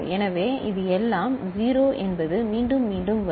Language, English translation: Tamil, So, this is all 0 means again it will get repeated